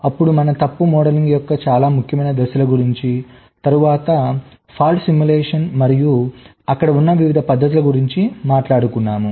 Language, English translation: Telugu, then we talked about the very important steps of fault modeling, then fault simulation and the different methods which exist there in